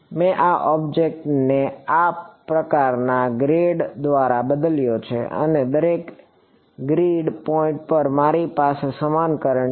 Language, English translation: Gujarati, I have replace this object by grade of this sort, and at each grid point I have an equivalent current